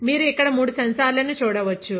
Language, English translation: Telugu, So, you can see three sensors here